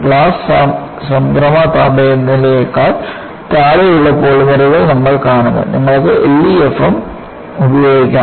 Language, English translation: Malayalam, And, we find polymers below glass transition temperature; you could invoke L E F M